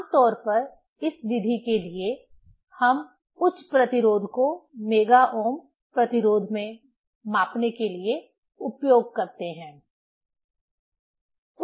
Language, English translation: Hindi, Generally for this method, we use for measuring the high resistance in mega ohm resistance